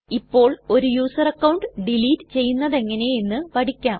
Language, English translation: Malayalam, Now let us learn how to delete a user account